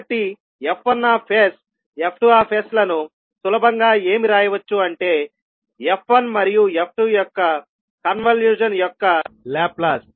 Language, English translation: Telugu, So you can simply write f1s into f2s is nothing but Laplace of the convolution of f1 and f2